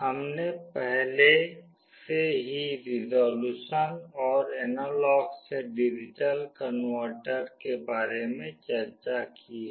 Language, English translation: Hindi, We have already discussed about the resolution and other aspects of analog to digital converter